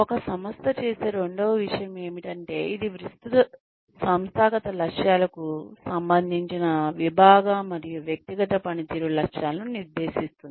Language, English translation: Telugu, The second thing that, an organization does is, it sets departmental and individual performance targets, that are related to wider organizational objectives